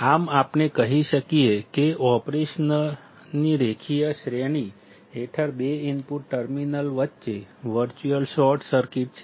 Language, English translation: Gujarati, Thus we can say that under the linear range of operation, there is a virtual short circuit between the two input terminals